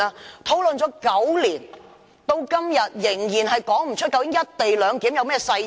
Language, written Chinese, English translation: Cantonese, 這已討論了9年，至今仍然說不出究竟"一地兩檢"有何細節。, This issue has been discussed for nine years and no detail whatsoever can be provided in relation to the co - location arrangement so far